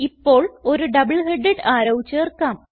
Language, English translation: Malayalam, Now lets add a double headed arrow